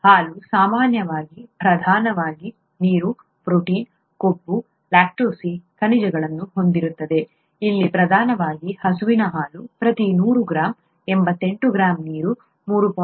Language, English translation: Kannada, Milk typically contains predominantly, water, protein, fat, lactose, minerals, predominantly here the cow’s milk contains for every hundred grams, 88 g of water, 3